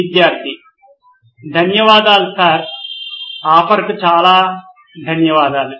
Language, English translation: Telugu, Thank you sir, thank you so much for the offer